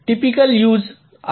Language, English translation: Marathi, so a typical use